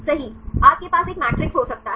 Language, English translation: Hindi, Right you can have a matrix